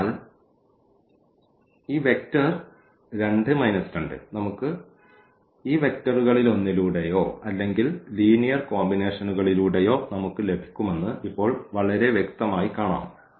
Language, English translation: Malayalam, So, it is very clearly visible now that this vector 2 minus 1 we can get by one of these vectors or by the linear combinations we can multiplies